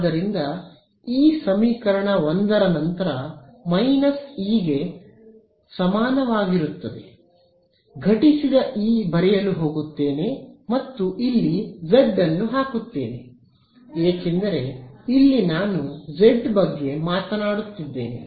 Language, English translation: Kannada, So, this equation 1 then get simplified in to this is equal to minus E incident right I am going to write E incident on top and put a z over here because I am only talking about the z common